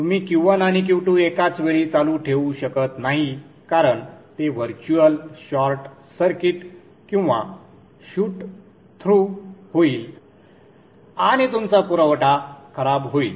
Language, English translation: Marathi, You cannot have Q1 and Q2 simultaneously on because then that would be a virtual short circuit right through and your supply will go back